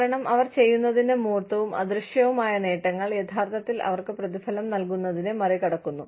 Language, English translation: Malayalam, Because, the tangible and intangible benefits of, what they do, are actually surpassing, whatever they are being paid